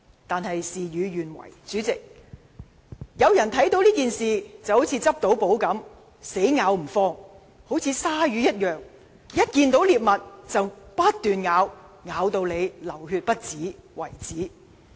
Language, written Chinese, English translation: Cantonese, 可惜，事與願違，有人把這件事當作是"執到寶"，死咬不放，如鯊魚一樣，看見獵物便不斷撕咬，定要咬到人流血不止。, But regrettably some Members have taken the incident as a golden opportunity and would not let go . They chase after the prey like bloodthirsty sharks and will only stop when the prey died from bleeding